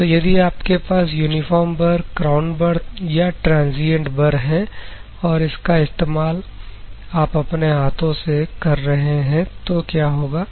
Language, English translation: Hindi, If you have this uniform burr crown burr and transient burrs, and if you are using this one with your hands what will happen